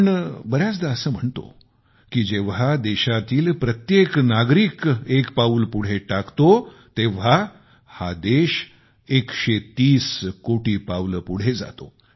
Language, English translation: Marathi, We often say that when every citizen of the country takes a step ahead, our nation moves 130 crore steps forward